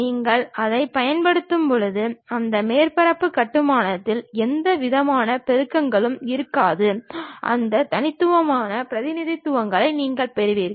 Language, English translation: Tamil, When you are using that, there will not be any multiplicities involved in that surface construction, you will be having that unique representation